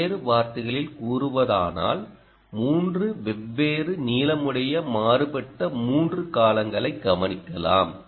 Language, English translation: Tamil, ah, these three different are three different varying lengths